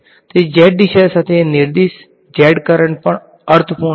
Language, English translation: Gujarati, So, it make sense to also have z current directed along the z direction